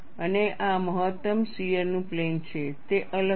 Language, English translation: Gujarati, The plane of maximum shear is really out of plane